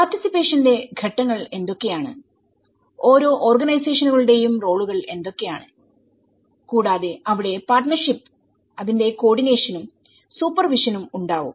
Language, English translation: Malayalam, And what are the stages of the participation and what are the roles of each organizations and there is a participation, partnership and also the coordination and the supervision of it